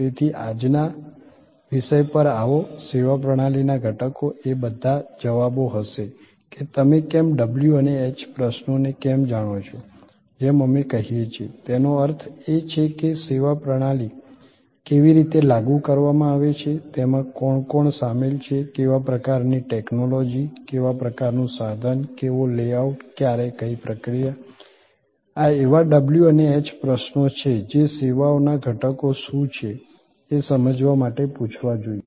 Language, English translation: Gujarati, So, in sort come in to today’s topic, elements of a services system will be all the answers to the why how you know the w and h questions as we say; that means, how is the service system implemented, what who are the people who are involved, what kind of technology, what kind of equipment, what layout, when what procedure, these are the w and h questions which as to be ask to understand that what are the elements of services